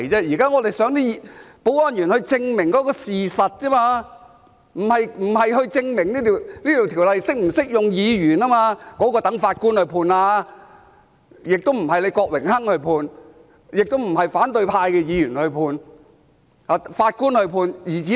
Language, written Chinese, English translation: Cantonese, 現在我們希望保安員證明事實，不是證明《條例》是否適用於議員，這點應留待法官判決，不是由郭榮鏗議員判決，亦不是由反對派議員判決，而是由法官判決。, Now we hope that the security staff can prove the fact not to prove whether PP Ordinance is applicable to Members . This is an issue which should be left to the courts judgment . It should be judged by the Court not by Mr Dennis KWOK or the opposition Members